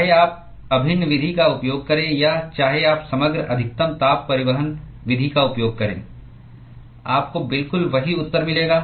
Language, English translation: Hindi, Whether you use the integral method or whether you use the overall maximal heat transport method, you are going to get exactly the same answer